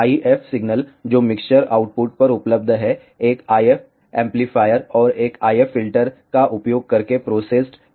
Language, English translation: Hindi, The, IF signal which is available at the mixer output is processed using an I F amplifier and an IF filter